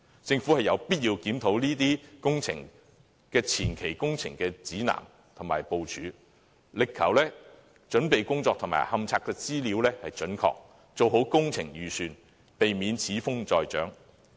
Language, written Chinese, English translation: Cantonese, 政府有必要檢討這些工程的前期工程指南和部署，力求準備工作和勘察資料準確，做好工程預算，避免此風再長。, It is necessary for the Government to review the guideline and preparation for advance works commit to the accuracy in preparatory work and in the data collected during investigation prepare works budgets properly and avoid the re - emergence of this phenomenon